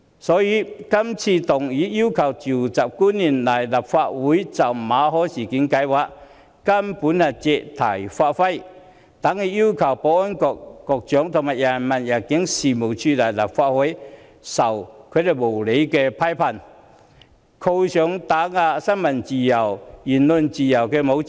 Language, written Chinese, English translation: Cantonese, 所以，議案要求傳召官員到立法會來就馬凱事件作出解釋，根本是借題發揮，等於要求保安局局長和入境處處長來立法會接受無理批判，被扣上打壓新聞自由和言論自由的帽子。, Therefore the Member who moves this motion to summon officials to attend before the Council to explain the MALLET incident is actually using the subject to put over her ideas . The motion is actually asking the Secretary for Security and the Director of Immigration to attend before the Council to be criticized unreasonably and be labelled as people who suppress freedom of the press and freedom of speech